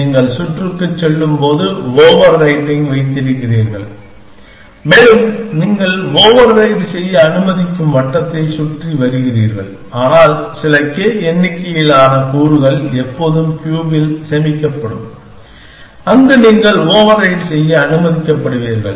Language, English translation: Tamil, So, you know what is a circular cube, that you keep overwriting as you go round and round the circle you allow to overwrite, but some k number of elements will always be stored in the cube, where you can you are allowed to overwrite